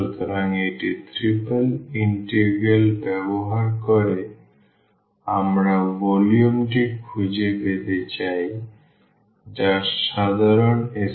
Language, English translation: Bengali, The last problem so, using this triple integral we want to find the volume which is common to this is sphere